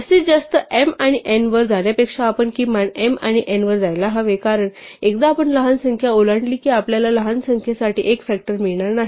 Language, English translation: Marathi, In fact, notice that rather than going to the maximum of m and n we should go to the minimum of m and n, because once we cross the smaller number we will not get a factor for the smaller number